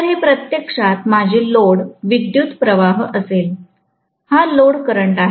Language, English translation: Marathi, So, this is going to be actually my load current, this is the load current